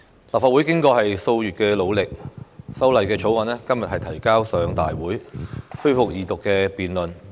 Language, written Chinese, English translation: Cantonese, 立法會經過數月努力，《條例草案》今日提交上大會，恢復二讀辯論。, After months of hard work the Bill was introduced into the Legislative Council today for resumption of the Second Reading debate